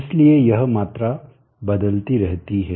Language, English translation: Hindi, is the only varying quantity